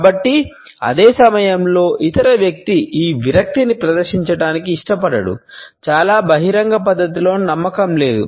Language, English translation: Telugu, But at the same time the other person does not want to exhibit this cinicism is not believed in a very open manner